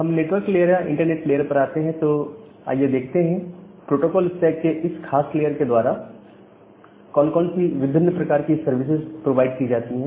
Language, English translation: Hindi, So, coming to the network at the internet layer, so, let us look into the different services which are being provided by this particular layer of the protocol stack